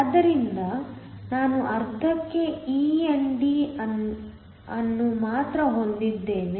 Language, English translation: Kannada, So, I only have e ND whole to the half